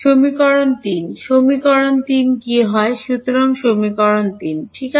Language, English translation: Bengali, Equation 3 what becomes of equation 3; so, equation 3 alright